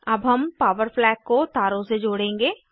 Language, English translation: Hindi, Now we will connect the power flag with wires